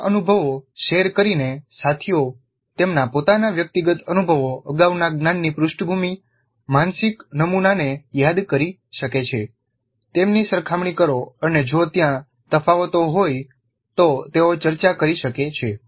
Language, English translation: Gujarati, So by sharing these experiences, the peers can recall their own individual experiences, their own previous knowledge background, their own mental models, compare them and if there are differences they can discuss